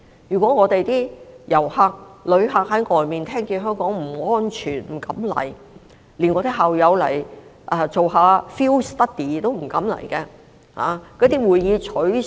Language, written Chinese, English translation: Cantonese, 如果旅客在外面聽到香港不安全，他們便不敢前來，連我的校友也不敢來進行 field study， 會議也全部取消。, If visitors hear overseas that Hong Kong is unsafe they will not dare to come . My alumni are also afraid of coming here for a field study and all the meetings have been cancelled